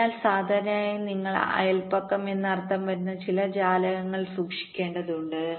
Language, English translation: Malayalam, ok, so usually you need to keep some windows, which means the neighborhood